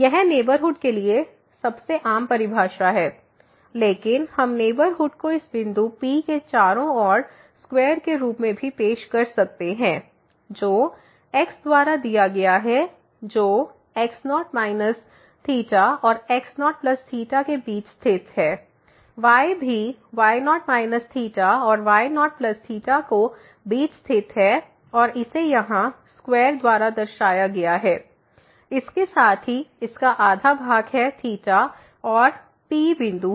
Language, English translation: Hindi, This is the most common definition for the neighborhood, but we can also introduce neighborhood as the square around this point P introduced by the which lies between minus delta and the plus delta; also lies between minus delta and plus delta and this is represented by this is square here, with this half of the side is this delta and the P is the point